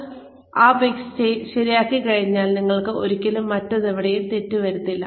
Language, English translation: Malayalam, Once you have got, that mix right, you can never go wrong, anywhere else